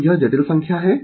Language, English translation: Hindi, It is a complex number